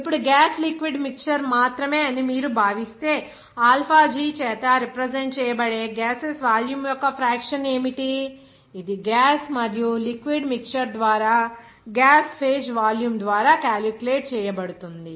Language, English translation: Telugu, Now, if you consider that the only gas liquid mixture, then what would the volume fraction of gases that will be denoted by alpha G, then it will be calculated by volume of gas phase by volume of gas and liquid mixture